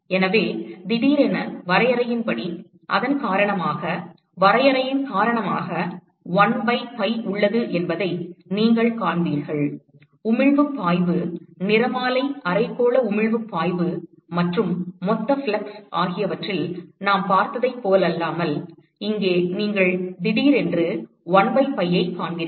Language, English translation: Tamil, So, suddenly because of the definition, you will see that there is 1 by pi that is come in because of the definition, unlike what we saw in emissive flux, spectral hemispherical emissive flux and the total flux, here you will suddenly see a 1 by pi that comes because of the definition of this ratio